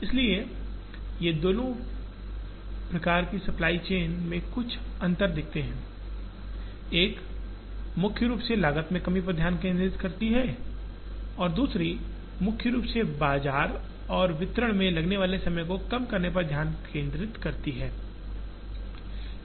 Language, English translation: Hindi, There are differences that we have seen between the two types of the supply chain, one primarily concentrating on cost reduction and the other concentrating primarily on delivery and reduced time to market